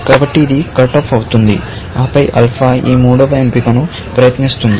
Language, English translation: Telugu, So, this will get cut off and then, alpha will try; this is a third option